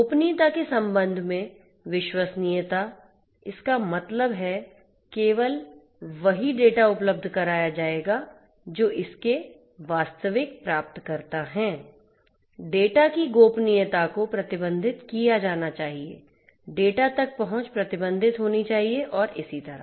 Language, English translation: Hindi, Trustworthiness with respect to privacy; that means, that only the data will be made available to the ones that you know that are the genuine recipients of it; data, the privacy of the data should be restricted; the access to the data should be restricted and so on